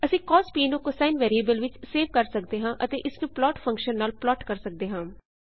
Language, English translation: Punjabi, We can save cos to variable cosine and then plot it using the plot function